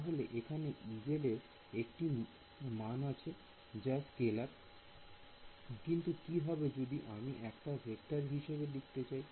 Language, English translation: Bengali, So, there is a value of E z is itself a scalar, but what if I wanted to do represent a true vector field